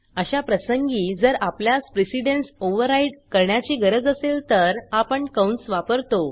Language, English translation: Marathi, In such situations, if we need to override the precedence, we use parentheses